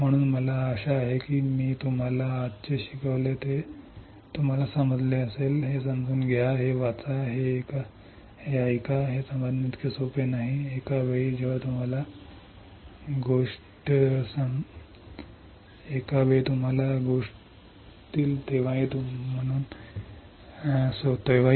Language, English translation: Marathi, So, I hope you understood what I have taught you today, understand this read this listen to it is not so easy to grasp it, at one time even when you know the things